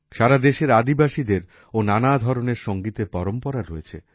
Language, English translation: Bengali, Tribals across the country have different musical traditions